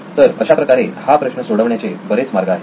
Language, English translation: Marathi, So several ways to solve this problem